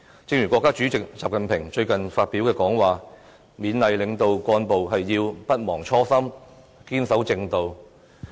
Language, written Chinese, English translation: Cantonese, 正如國家主席習近平最近發表講話，他勉勵領導幹部要不忘初心，堅守正道。, In one recent address President XI Jinping encourages leadership cadres not to forget their original sense of mission and advises them to adhere to the righteous course